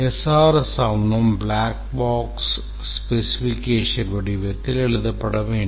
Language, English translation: Tamil, The SRIES document should be written in the form of a black box specification